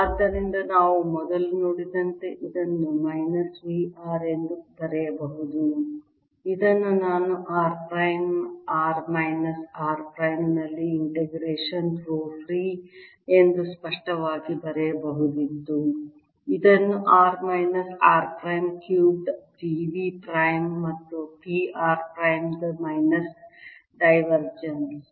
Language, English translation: Kannada, i could have also explicitly written this as: integration: rho free at r prime, r minus r prime divided by r minus r prime cubed d v prime plus integration minus divergence of p